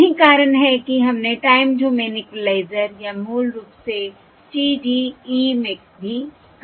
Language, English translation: Hindi, yeah, That is also what we said in the time domain equaliser or basically TDE